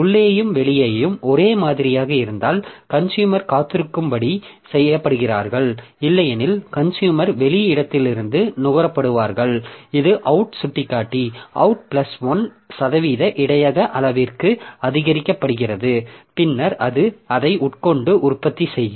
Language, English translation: Tamil, So, if while in and out are same then the consumer is made to wait, otherwise the consumer is made to consume from the out location and then the out pointer is incremented to out plus 1% buffer size then it will consume it and produce